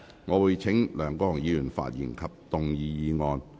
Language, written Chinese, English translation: Cantonese, 我會請梁國雄議員發言及動議議案。, I will call upon Mr LEUNG Kwok - hung to speak and move the motion